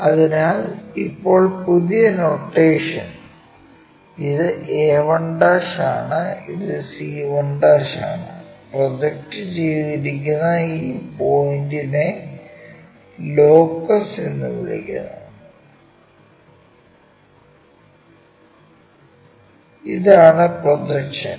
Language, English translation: Malayalam, So, now, in new notation this is a 1', this is c 1' and this point which is projected, so this is what we calllocus and this is the projection